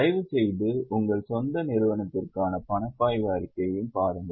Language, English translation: Tamil, Please also have a look at cash flow statement for your own company